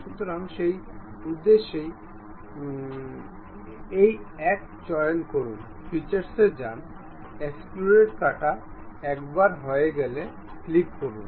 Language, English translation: Bengali, So, for that purpose pick this one, go to features, extrude cut; once done, click ok